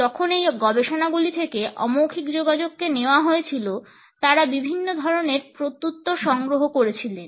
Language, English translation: Bengali, When these studies and researches were taken up in nonverbal communication, they excerpt different responses to it